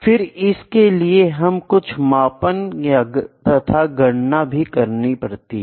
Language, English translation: Hindi, We have to do some measurements we have to do some calculation sometimes, ok